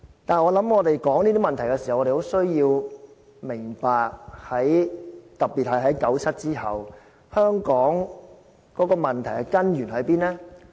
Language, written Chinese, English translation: Cantonese, 但是，我想我們說這些問題的時候，需要明白，特別是在九七之後，香港問題的根源在哪裏？, But I think when we discuss all these problems we must realize the root cause of all the problems faced by Hong Kong all along especially since the year 1997